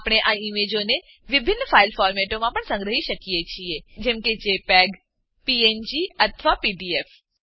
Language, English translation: Gujarati, We can also save these images in different file formats like jpg, png or pdf